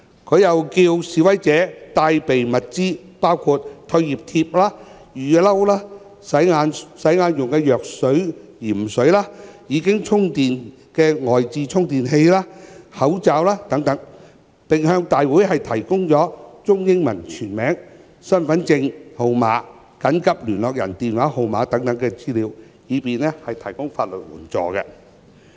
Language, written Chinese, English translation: Cantonese, 她又叫示威者帶備物資，包括退熱貼、雨衣、洗眼用的藥用鹽水、已充電的外置充電器及口罩等，並向大會提供中英文全名、身份證號碼及緊急聯絡人電話號碼等資料，以便提供法律援助。, She also asked protesters to bring along materials like fever cooling patches raincoats saline for rinsing eyes fully charged power banks and face masks and to provide the information like their full names both Chinese and English identity card numbers and telephone numbers of emergency contact persons to the organizer to facilitate the provision of legal assistance